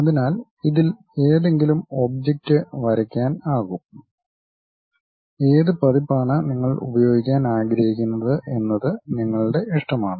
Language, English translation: Malayalam, So, on this we will be in a position to draw any object and it is up to you which version you would like to use